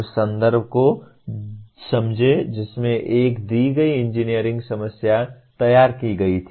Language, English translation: Hindi, Understand the context in which a given engineering problem was formulated